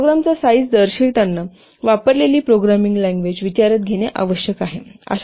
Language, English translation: Marathi, Thus, while expressing the program size, the programming language used must be taken into consideration